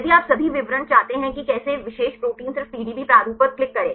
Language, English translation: Hindi, If you want the all the details how the particular protein just to click on the PDB format right